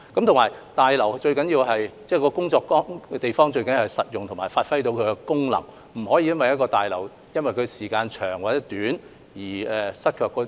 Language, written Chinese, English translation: Cantonese, 此外，大樓是工作的地方，最重要的是實用及能夠發揮功能，不能因為大樓使用時間太長而無法發揮功能。, In addition a building is a place where people work and the most important thing is that it should be practical and able to perform its functions . A building cannot be regarded as being unable to perform its functions just because it has been in use for too long